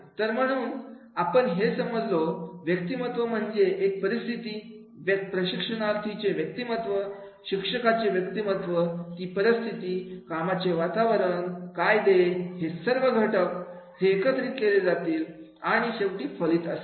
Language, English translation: Marathi, So therefore, but as we understand that is the personality, the situation, personality of the trainee, personality of the trainer, the situation, work environment, legislation, all factors that will come has to be integrated and finally there will be the outcome